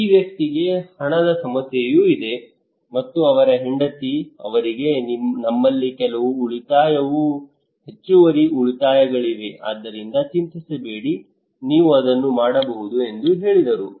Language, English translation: Kannada, This person also have monetary problem, and he called his wife, his wife said that we have some savings extra savings so do not worry you can do it